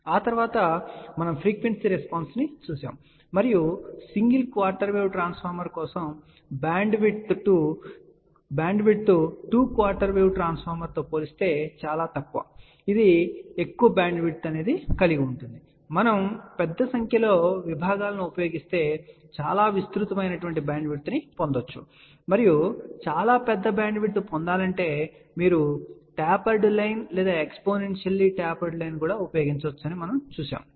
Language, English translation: Telugu, After that we saw the frequency response and we had seen that for a single quarter wave transformer, bandwidth is relatively less compared to two quarter wave transformer which has a larger bandwidth and if we use larger number of sections, we can get a much broader bandwidth and it also mention that you can use tapered line or exponentially tapered line to realize much larger bandwidth